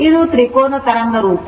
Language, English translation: Kannada, It is triangular